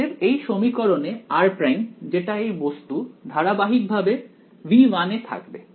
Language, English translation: Bengali, So, in this equation now r prime which is this guy continuous to stay in V 1